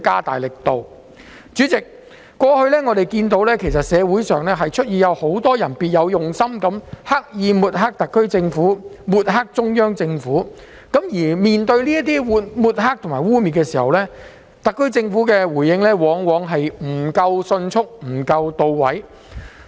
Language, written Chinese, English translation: Cantonese, 代理主席，過去社會上有很多別有用心的人，刻意抹黑特區政府和中央政府，而面對這些抹黑及污衊時，特區政府的回應往往不夠迅速和到位。, Deputy President in the past many people with ulterior motives deliberately smeared the SAR Government and the Central Government . When faced with such smearing and defamation the SAR Governments response was often not quick and targeted enough